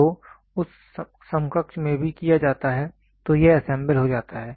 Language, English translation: Hindi, So, in that counterpart same is also done then it gets assembled